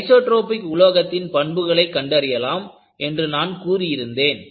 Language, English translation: Tamil, I said that, you can find out the parameters to characterize an isotropic material